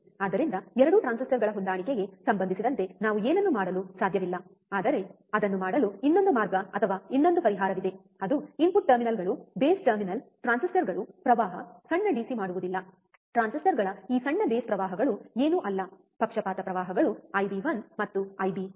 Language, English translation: Kannada, So, we cannot do anything regarding the matching of the 2 transistors, but there is another way or another solution to do that is the input terminals which are the base terminal transistors do not current small DC, this small base currents of the transistors nothing but the bias currents I B 1 and I B 2